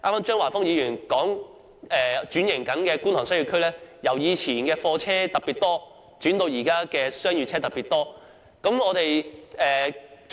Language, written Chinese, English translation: Cantonese, 張華峰議員剛才說，轉型中的觀塘商貿區由以前的貨車特別多，轉為現時商業車特別多。, As remarked by Mr Christopher CHEUNG just now in the past goods vehicles packed the streets of Kwun Tong but as Kwun Tong transforms to a commercial district commercial vehicles now pack the streets